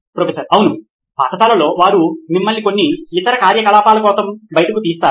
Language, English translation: Telugu, Yeah, in school they pull you out for some other activities